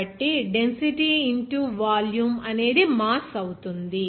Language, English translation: Telugu, So, volume into density that will be your mass